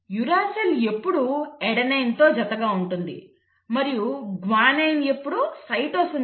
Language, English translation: Telugu, The uracil will always pair with an adenine and guanine will always pair with a cytosine; that is the complementarity